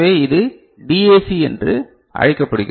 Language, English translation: Tamil, So, this is called the DAC right